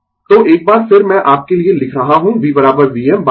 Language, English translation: Hindi, So, once again i am writing for you V is equal to V m by root 2